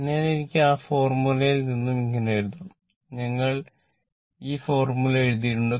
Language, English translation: Malayalam, So, I could be using that formula only let me clear it we have written this formula right